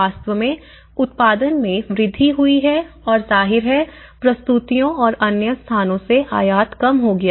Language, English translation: Hindi, And that has actually, the production has increased and obviously, the productions and the imports from other places has been decreased